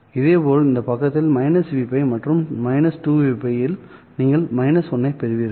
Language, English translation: Tamil, Similarly, on this side at minus v pi and at minus 2 v pi, you get a minus 1